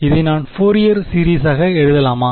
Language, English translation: Tamil, Can I write it as the Fourier series